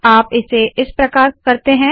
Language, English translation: Hindi, So we will do this as follows